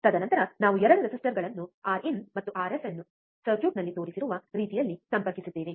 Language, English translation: Kannada, And then we have 2 resistors R in and R f connected in the same way shown in circuit